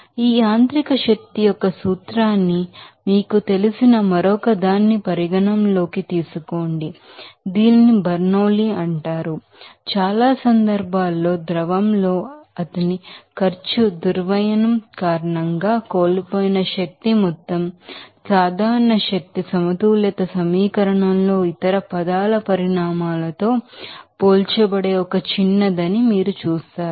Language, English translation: Telugu, Now, let us you know consider another you know principle of this mechanical energy this is called Bernoulli is principles that case in many cases you will see that the amount of energy lost due to his cost dissipation in the fluid is a small that will be compared to magnitudes of the other terms in the general energy balance equation